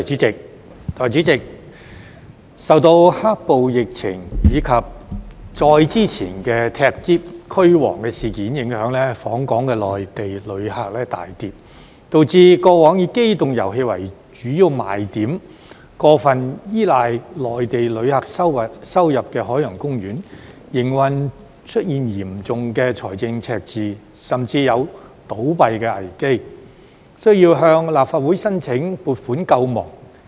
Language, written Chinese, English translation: Cantonese, 代理主席，受到"黑暴"、疫情，以及再之前的"踢篋"、"驅蝗"事件影響，訪港內地旅客數目大跌，導致過往以機動遊戲為主要賣點、過分依賴內地旅客收入的海洋公園，在營運方面出現嚴重的財政赤字，甚至有倒閉的危機，需要向立法會申請撥款救亡。, Deputy President Mainland visitor arrivals to Hong Kong plummeted due to the black - clad violence the pandemic and the earlier suitcase - kicking and anti - locust incidents causing Ocean Park which boasted amusement rides and over - relied on income from Mainland visitors to run into a serious operating deficit and was even in danger of going bust . It thus needed to seek funding approval from the Legislative Council to save itself